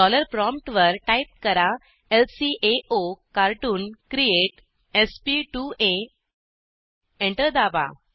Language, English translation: Marathi, At the dollar prompt, type lcaocartoon create sp2a , press Enter